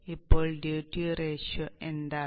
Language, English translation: Malayalam, Now what is the duty ratio